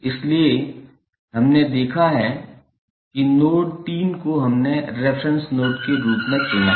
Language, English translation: Hindi, So, we have seen that the node 3 we have chosen as a reference node